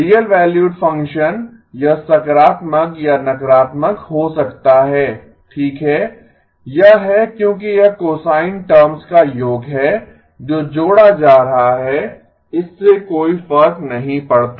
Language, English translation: Hindi, Real valued function, it may be positive or negative okay that is because this is sum of cosine terms that are getting added, it does not matter